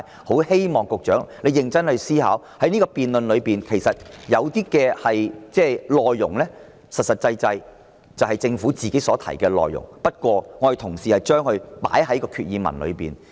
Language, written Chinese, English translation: Cantonese, 我希望局長認真思考，我的修訂議案的內容其實就是政府曾提出的內容，我只是提出將之納入決議案之內而已。, I hope the Secretary will give it serious consideration . My amending motion is actually what the Government has stated and I merely include it in the Resolution